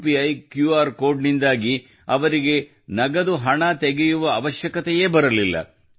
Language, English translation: Kannada, Because of the UPI QR code, they did not have to withdraw cash